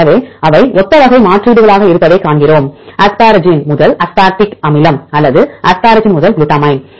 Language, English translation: Tamil, So, we see they are similar type of substitutions for example, asparagine to aspartic acid or asparagine to glutamine